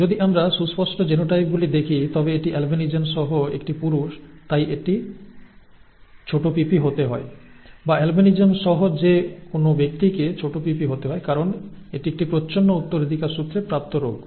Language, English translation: Bengali, If we look at obvious genotypes, this is a male with albinism therefore it has to be small p small p, or anything with an albinism has to be small p small p because it is a recessively inherited disorder